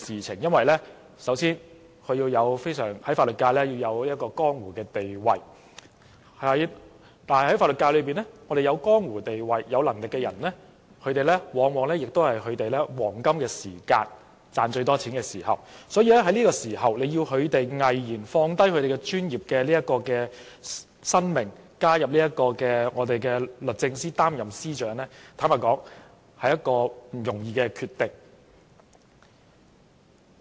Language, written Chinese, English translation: Cantonese, 首先，這人必須在法律界有江湖地位，而在法律界有江湖地位又有能力的人，往往是處於他們事業的黃金期，最能賺錢的時候，要他們毅然放下事業，加入政府擔任律政司司長，實在是一個不容易的決定。, First of all this person must command respect in the legal sector but people with high status and of a high calibre in the legal sector are very often in their peak of their career with the highest earning capacity . It is not easy for such a person to give up his career to join the Government and take up the post of Secretary for Justice